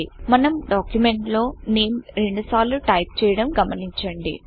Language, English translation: Telugu, Notice that we have typed the word NAME twice in our document